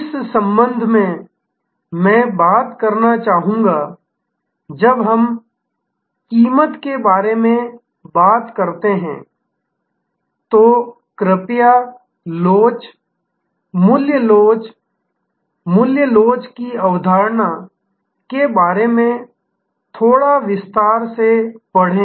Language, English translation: Hindi, In this respect, I would like to talk about when we talk about price, please do read about a little bit more in detail about the elasticity, price elasticity, the concept of price elasticity